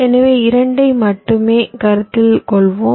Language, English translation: Tamil, so lets consider only two